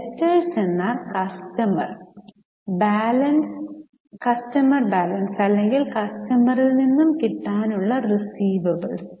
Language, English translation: Malayalam, Daters are the customer balances or receivables from customers